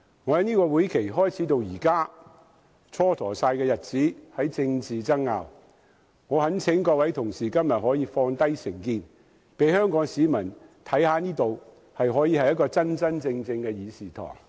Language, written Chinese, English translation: Cantonese, 本屆會期開始至今，日子都因政治爭拗而蹉跎，我懇請各位同事今天放下成見，讓香港市民看看這裏是一個真真正正的議事堂。, I implore Honourable colleagues to put aside their prejudices today so that Hong Kong people can see that the Council is truly a forum to discuss issues of public concern . Today there are seven amendments to this motion . I will abstain from voting on a number of amendments when they are put to vote later